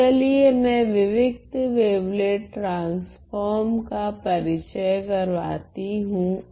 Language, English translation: Hindi, So, let me introduce the discrete wavelet transform